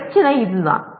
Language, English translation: Tamil, The issue is this